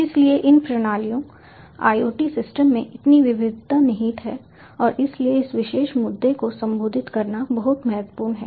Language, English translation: Hindi, so there is so much of diversity that is inherent to these systems, iot systems, and that is why it is very important to address this particular issue in internet of things